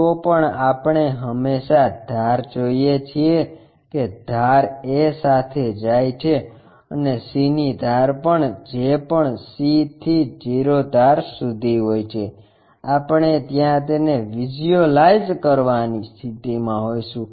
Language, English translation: Gujarati, Anyway edges we always see that edge goes coincides with that and c edge also whatever c to o edge we will be in a possition to visualize it there